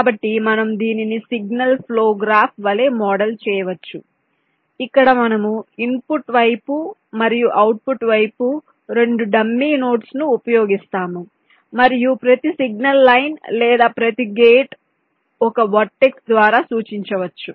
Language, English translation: Telugu, so we can model this as a signal flow graph where we use two dummy notes in the input side and the output side, and every, you can say every signal line or every gate can be represented by a verdicts